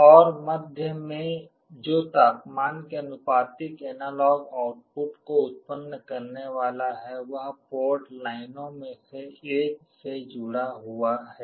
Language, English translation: Hindi, And the middle one that is supposed to generate the analog output proportional to the temperature is connected to one of the port lines